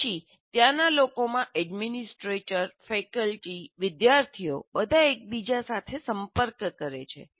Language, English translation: Gujarati, And then the people in that, the administrators, the faculty, the students all interact with each other